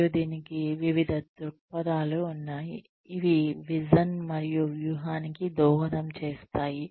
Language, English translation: Telugu, And, there are various perspectives to this, that keep contributing to the vision and strategy